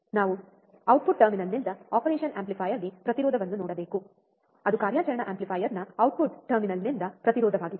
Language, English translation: Kannada, We have seen ideally it should be 0, resistance viewed from the output terminal to the operation amplifier; that is resistance from the output terminal of the operational amplifier